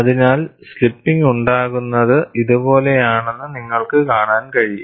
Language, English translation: Malayalam, So, you could see that slipping occurs like this